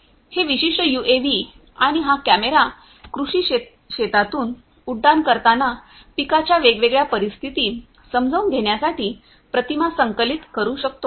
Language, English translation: Marathi, This particular UAV can and this camera can collect images while it is on flight over agricultural fields to understand different crop conditions and so on and so forth